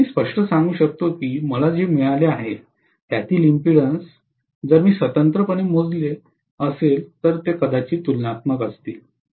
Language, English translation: Marathi, So I can say very clearly that the impedances what I have got, although I have calculated independently maybe they would be comparable